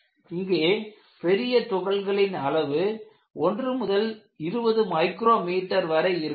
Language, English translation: Tamil, So, you could have large particles which are of size 1 to 20 micrometers